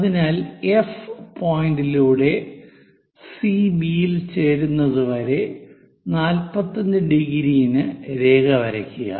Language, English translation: Malayalam, So, through F point, draw a line at 45 degrees to meet CB